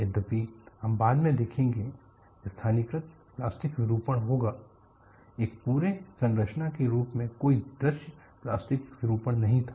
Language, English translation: Hindi, Althoughwe would see later, there would be localized plastic deformation, the structure as a whole had no visible plastic deformation